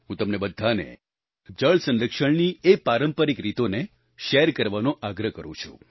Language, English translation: Gujarati, I urge all of you to share these traditional methods of water conservation